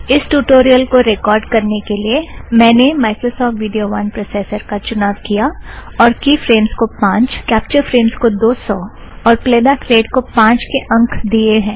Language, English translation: Hindi, To record this tutorial, I have used Microsoft Video 1 as the compressor with Key Frames set to 5, Capture Frames set to 200 and Playback Rate set to 5